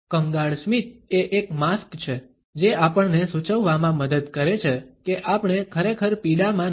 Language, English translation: Gujarati, The miserable a smile is a mask which helps us to suggest that we are not exactly in pain